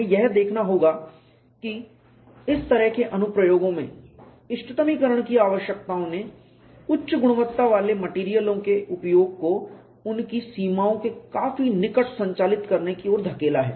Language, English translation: Hindi, We have to look at that optimization requirements have pushed the use of high quality materials to operate closer to their limits in such applications